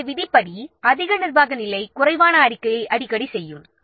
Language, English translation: Tamil, So, as per the rule, the higher the management level, the less frequent is this what reporting